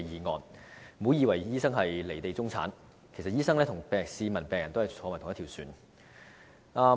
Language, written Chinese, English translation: Cantonese, 大家不要以為醫生是"離地"中產，其實醫生也與市民和病人同坐一條船。, Members should not assume that doctors are the middle class detached from reality . In fact doctors members of the public and patients are in the same boat